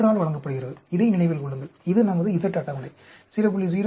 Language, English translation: Tamil, 3, remember this, this is our z table 0